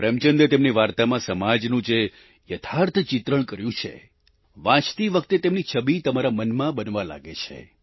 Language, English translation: Gujarati, Images of the stark social realities that Premchand has portrayed in his stories vividly start forming in one's mind when you read them